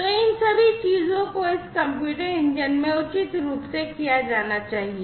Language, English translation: Hindi, So, all of these things will have to be done appropriately in this compute engine